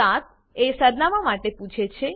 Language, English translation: Gujarati, Item 7 asks for your address